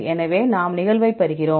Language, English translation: Tamil, So, we get the occurrence